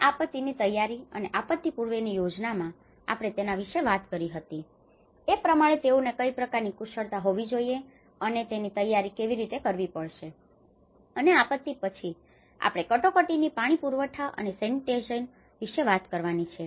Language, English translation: Gujarati, And the disaster preparedness and the pre disaster planning, so we talked about you know what kind of skills we have to impart and how we have to prepare for it and later on after the disaster, we have to talk about emergency water supply and sanitation